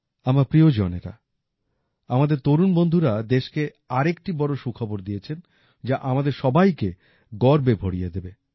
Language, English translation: Bengali, My family members, our young friends have given another significant good news to the country, which is going to swell all of us with pride